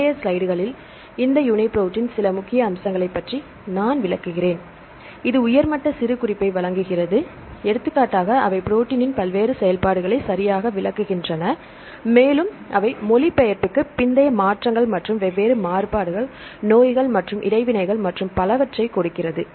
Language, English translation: Tamil, In the later slides, I will explain some of the major aspects of this UniProt in the provides a high level of annotation, for example, they give the description of the protein various functions right and the structures are they post translational modifications and different variants, diseases and the interactions and so on